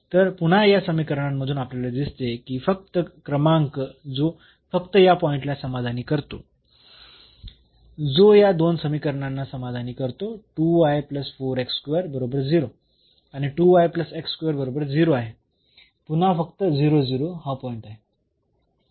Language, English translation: Marathi, So, again out of these 2 equations we see that the only number which satisfy only point which satisfy these 2 equations 2 y plus 4 x is x square is equal to 0 and this 2 y plus x square is equal to 0, the only point is 0 0 again